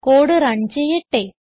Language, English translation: Malayalam, Now let us run the code